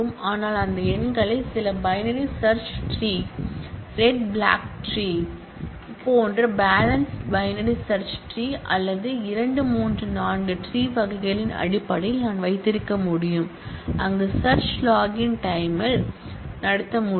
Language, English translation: Tamil, But I could keep those numbers in terms of some binary search tree, balanced binary search tree like red black tree or two three four tree kind of, where the search can be conducted in a login time